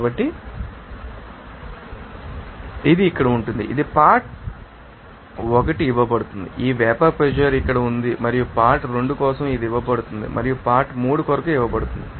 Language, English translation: Telugu, So, this will be your you know that here it is given the component 1 this vapor pressure is here and for component 2 it is given and for component 3 is given